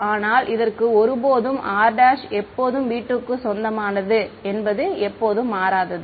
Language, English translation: Tamil, But inside this never changes, r prime is always belonging to v 2